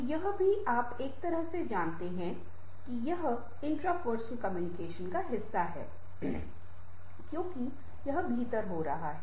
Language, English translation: Hindi, in a a way, this is part of the intrapersonal communication, because this is going within